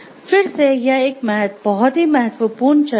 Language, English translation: Hindi, So, this, again this part is very important discussion